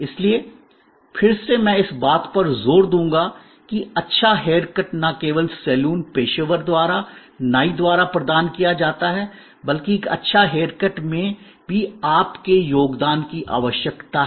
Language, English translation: Hindi, So, again I would emphasize that a good hair cut is not only provided by the barber by the saloon professional, but also a good hair cut needs your contribution